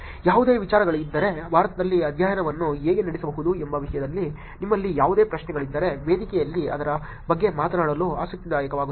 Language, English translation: Kannada, If there is any ideas, if there is any questions that you have in terms of how study could be performed in India, it will be interesting to talk about it in the forum